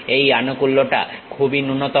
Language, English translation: Bengali, That support is very minimal